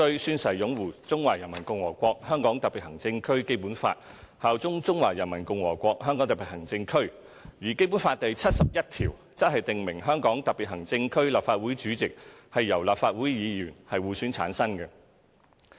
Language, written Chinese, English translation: Cantonese, 宣誓擁護中華人民共和國香港特別行政區基本法，效忠中華人民共和國香港特別行政區"。而《基本法》第七十一條則訂明"香港特別行政區立法會主席由立法會議員互選產生"。, Article 71 of the Basic Law also provides that [t]he President of the Legislative Council of the Hong Kong Special Administrative Region shall be elected by and from among the members of the Legislative Council